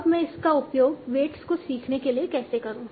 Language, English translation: Hindi, Now, how do I use that to learn the weights